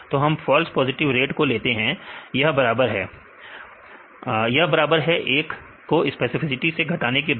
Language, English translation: Hindi, So, we take the false positive rate; this as equal to 1 minus specificity